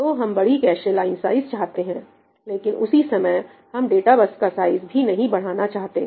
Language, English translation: Hindi, So, we want large cache line sizes, but at the same time I do not want to increase the size of the data bus